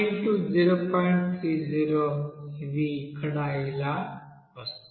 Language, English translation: Telugu, 30 it will be coming as here